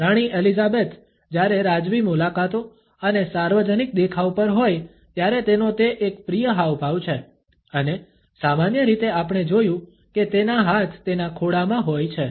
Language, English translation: Gujarati, It is a favourite gesture of Queen Elizabeth when she is on royal visits and public appearances, and usually we find that her hands are positioned in her lap